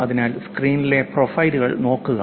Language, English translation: Malayalam, So, just look at the profiles on the screen